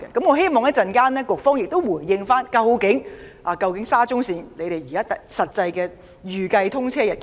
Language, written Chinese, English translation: Cantonese, 我希望局方稍後回應時能交代沙中線的實際預計通車日期。, I hope the Secretary can give an actual expected date of commissioning in his reply to be given shortly